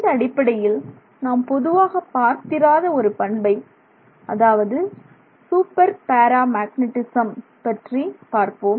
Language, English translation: Tamil, And in that context we look at something which is not so commonly encountered and that is super paramagnetism